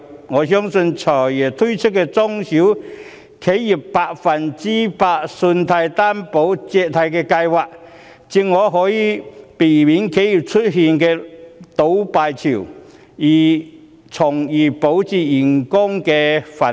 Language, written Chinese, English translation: Cantonese, 我相信，"財爺"推出的中小企業百分百擔保借貸的計劃正好可以避免企業出現倒閉潮，從而保住員工"飯碗"。, I believe that the 100 % loan guarantee scheme for small and medium enterprises launched by the Financial Secretary can avoid the massive closure of enterprises thereby safeguarding employees jobs